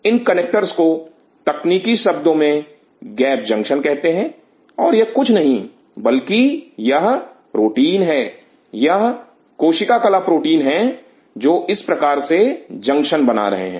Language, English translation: Hindi, These connectors are called gap junction in technical term and these are nothing, but these are proteins, these are membrane proteins which are forming these kinds of junctions